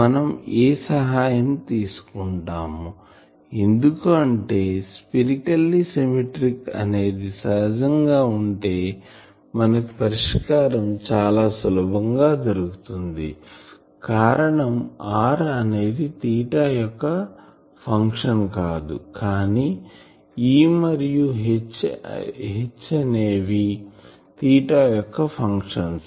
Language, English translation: Telugu, We took the help of A, because with that spherically symmetric nature is solution becomes easier only becomes the function of r it was not a function of theta phi, but E and H they are function of theta